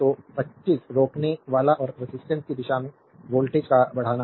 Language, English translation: Hindi, So, 25 resistor and the direction of the voltage rise across the resistor